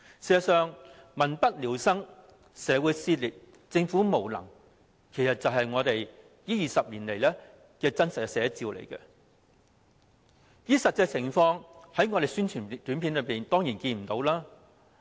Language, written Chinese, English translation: Cantonese, 事實上，"民不聊生、社會撕裂、政府無能"，就是這20年來的真實寫照，而在宣傳短片中，當然看不到實際情況。, As a matter of fact the people have no means of livelihood; society has been torn apart; the Government is incompetent . This is a true picture of these past 20 years . Of course we cannot see the actual situation in APIs